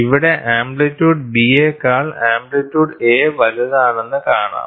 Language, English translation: Malayalam, So, here you see amplitude A is larger than amplitude B